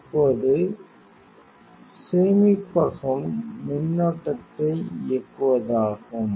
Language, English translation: Tamil, Now, storage is the operate the current